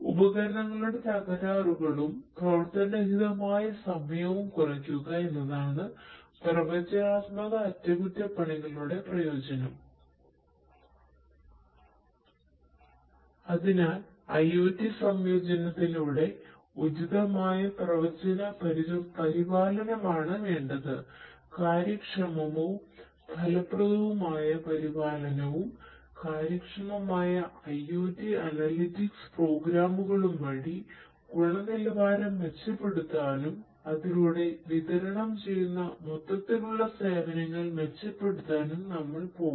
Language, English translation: Malayalam, So, what is required is through appropriate predictive maintenance through IoT integration, we are going to have efficient and effective maintenance and improvement of quality by efficient IoT analytics programs and in turn improving the overall services that are delivered